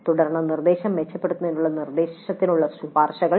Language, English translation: Malayalam, Then recommendations to the instruction to improve the instruction